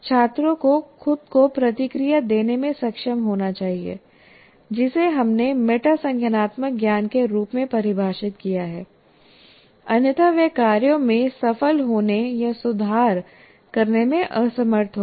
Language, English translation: Hindi, Students need to be able to give themselves feedback, that is what we defined also as metacognitive knowledge while they are working, otherwise they will be unable to succeed with tasks or to improve